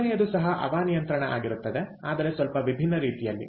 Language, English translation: Kannada, right, the third one is also air conditioning, but in a little different manner